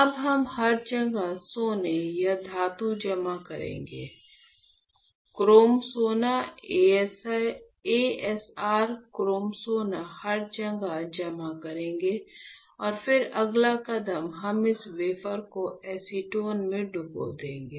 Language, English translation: Hindi, Now what we will do you know, we will deposit gold or a metal everywhere, chrome gold right, as your chrome gold everywhere and then the next step is we will dip this wafer in acetone